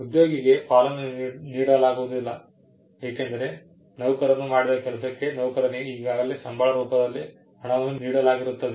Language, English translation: Kannada, The employee is not given a share, because the employee was already paid for the work that the employee had done